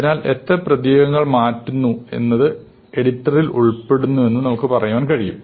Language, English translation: Malayalam, So, we could say that edit involves how many characters you are changing